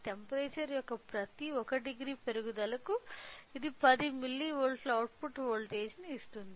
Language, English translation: Telugu, For every 1 degree raise of temperature it gives an output voltage of 10 milli volts